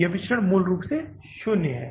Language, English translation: Hindi, This variance is basically nil